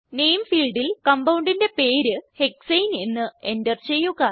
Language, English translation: Malayalam, In the Name field, enter the name of the compound as Hexane